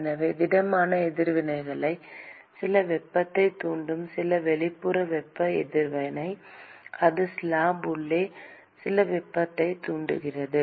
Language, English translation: Tamil, So, it could be that solid reaction is inducing some heat, some exothermic reaction, which is inducing some heat inside the slab